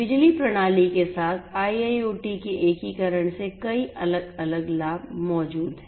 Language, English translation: Hindi, So many different benefits exist from the integration of IIoT with power system